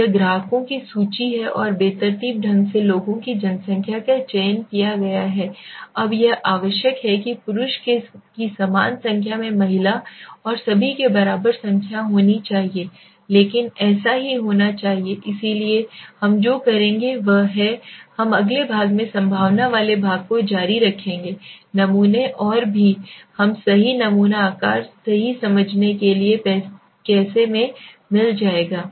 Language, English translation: Hindi, So this is the list of clients and randomly this number of people have been selected now it is not necessary that there should be equal number of male equal number of female and all but so be it so what we will do is we will continue the section in the next section with the probability sampling and also we will get into how to understand the right sample size right